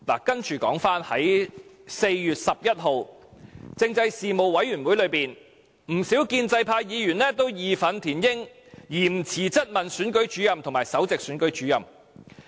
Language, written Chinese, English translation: Cantonese, 接着說回在4月11日政制事務委員會會議上，不少建制派議員也義憤填膺，嚴詞質問總選舉事務主任和首席選舉事務主任。, Next I want to talk about the meeting of the Panel on Constitutional Affairs on 11 April . Many pro - establishment Members were indignant and used very strong words to question the Chief Electoral Officer and Principal Electoral Officer